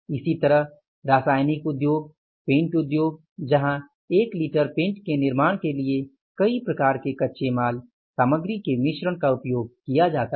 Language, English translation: Hindi, Similarly the chemical industries, paint industries, there are for manufacturing the one liter of the paint, multiple types of the raw materials are used